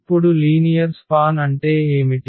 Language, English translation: Telugu, So, what is the linear span